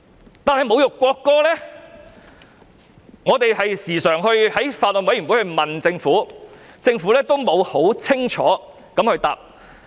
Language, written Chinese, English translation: Cantonese, 但是，關於侮辱國歌的定義，我們時常在法案委員會問政府，政府都沒有清楚回答。, However regarding the definition of insulting the national anthem the Government has invariably failed to give clear replies to questions constantly put to it by us at the Bills Committee